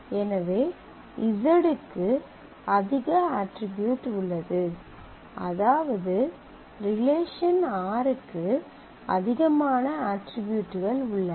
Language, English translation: Tamil, So, z has more attribute the relation r has more attributes